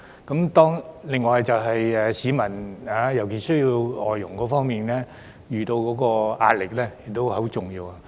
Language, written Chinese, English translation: Cantonese, 此外便是市民，他們在需要外傭方面所遇到的壓力也很重要。, Another important aspect is those members of the public who are under the pressure of their need for FDHs